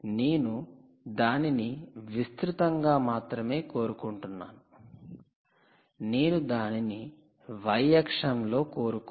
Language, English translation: Telugu, you want it wide, but you dont want it ah on the on the y axis